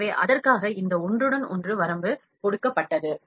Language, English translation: Tamil, So, for that this overlap limit is given